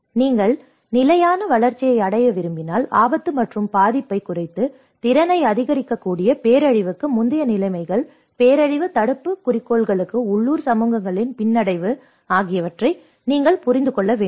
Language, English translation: Tamil, So, it talks about if you want to achieve the sustainable development, you need to understand that pre disaster conditions which can reduce the risk and vulnerability and increase the capacity, the resilience of local communities to a goal of disaster prevention